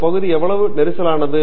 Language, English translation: Tamil, How crowded this area is